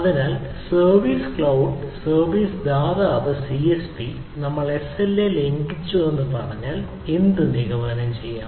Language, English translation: Malayalam, that the service cloud service provider csp, if we say, has violated the sla